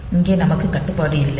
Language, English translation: Tamil, here we do not have the restriction